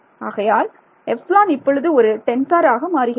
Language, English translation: Tamil, So, epsilon over there becomes a tensor that